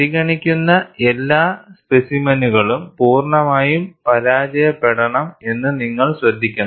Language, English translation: Malayalam, And we have also noted that, all specimens must fail completely in order to be considered